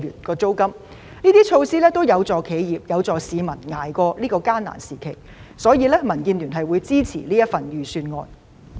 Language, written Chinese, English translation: Cantonese, 上述措施都有助企業和市民捱過艱難時期，因此民建聯支持預算案。, Since all these measures will help enterprises and the public tide over this difficult period DAB supports the Budget